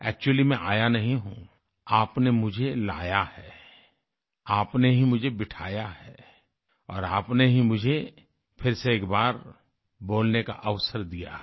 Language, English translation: Hindi, Actually speaking, I have not RETURNED; you brought me back, you positioned me here and gave me the opportunity to speak once again